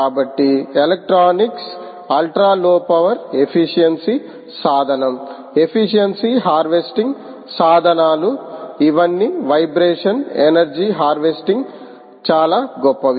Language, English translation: Telugu, ok, so electronics is ultra low power efficient tool, the efficient harvest tools, all of it is made it very, very rich for vibration energy harvesting